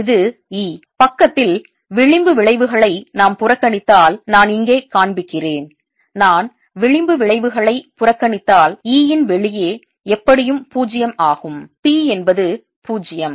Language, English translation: Tamil, if we neglect fringe effects on the side, which i am showing here, if i neglect fringe effects, e outside anyway is zero, p is zero, so displacement d will also be zero